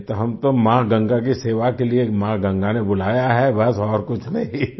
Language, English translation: Hindi, Otherwise, we have been called by Mother Ganga to serve Mother Ganga, that's all, nothing else